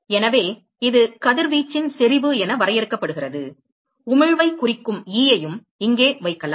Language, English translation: Tamil, So, it is defined as the intensity of radiation, I can also put e here, which stands for emission